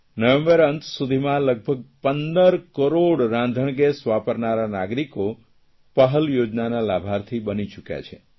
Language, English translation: Gujarati, Till November end, around 15 crore LPG customers have become its beneficiaries